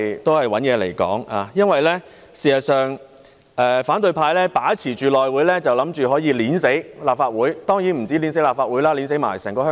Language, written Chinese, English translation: Cantonese, 反對派議員以為只要把持內務委員會，便可以掐死立法會——當然不止立法會，還有整個香港。, Opposition Members think that as long as they can dominate the House Committee they can strangle the Legislative Council to death―of course not only the Legislative Council but also the entire Hong Kong